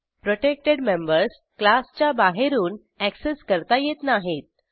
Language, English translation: Marathi, Protected specifier Protected members cannot be accessed from outside the class